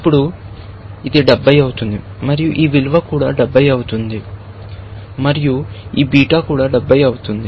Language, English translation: Telugu, Now, this becomes 70, and this value of also becomes 70, and this beta is 70